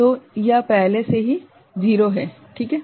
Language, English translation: Hindi, So, this is already 0 right